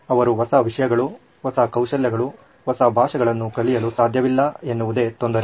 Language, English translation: Kannada, It’s an annoyance that he can’t learn new things, new skills, new languages